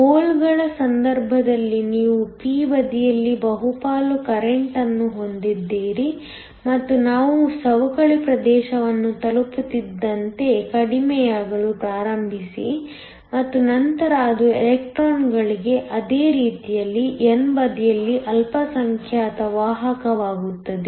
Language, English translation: Kannada, In the case of holes, you have a majority current on the p side and start to reduce as we reach the depletion region and then it becomes a minority carrier on the n side, same way for electrons